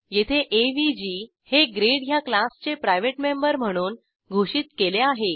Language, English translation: Marathi, Here we have declared avg as private member of class grade